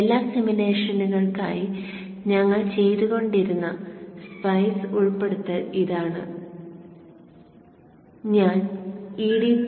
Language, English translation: Malayalam, And this is the SPIS include which we have been doing for all the simulations and I have included the EDT 01